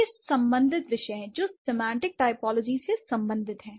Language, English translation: Hindi, All these disciplines, they do talk about semantic typology